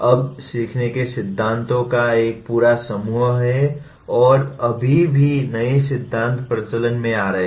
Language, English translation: Hindi, Now there are a whole bunch of learning theories and still newer theories are coming into vogue